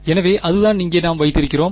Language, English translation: Tamil, So, that is what we have over here